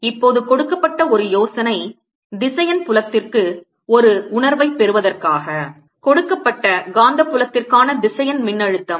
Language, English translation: Tamil, the idea right now is to get a feel for the vector, feel vector potential for a given magnetic field